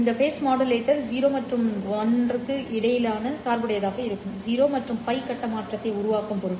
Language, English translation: Tamil, This face modulator will be biased between 0 and pi, that is in order to generate 0 and pi phase shift